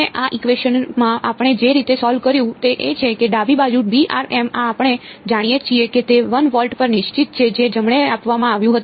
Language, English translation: Gujarati, And in this equation the way we solved, it is that the left hand side this V of r m we know it to be fixed at 1 volt that was given right